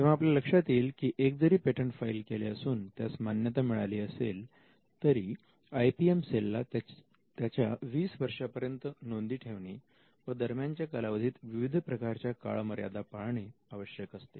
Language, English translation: Marathi, So, you can see that, even if it is one patent the IPM cell needs to keep track of it for 20 years and there are different deadlines that falls in between